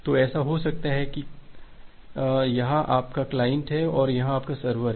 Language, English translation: Hindi, So, it may happen that say here is your client and here is your server